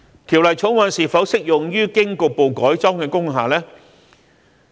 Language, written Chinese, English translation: Cantonese, 《條例草案》是否適用於經局部改裝的工廈呢？, Will the Bill be applicable to partially converted industrial buildings?